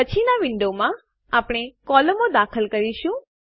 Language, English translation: Gujarati, In the next window, we will add the columns